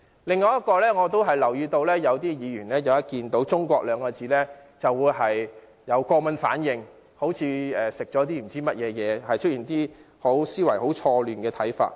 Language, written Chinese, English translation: Cantonese, 另外，我留意到有些議員一見"中國"二字，便會出現過敏反應，像吃了壞東西，又會出現一些思維錯亂的看法。, Separately I note that some Members will overreact whenever the word China is mentioned as if they have eaten rotten food or become schizophrenic